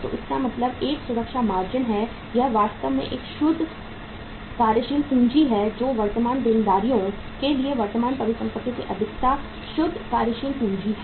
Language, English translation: Hindi, So it means a safety margin of this is actually a net working capital current excess of current asset to current liabilities is net working capital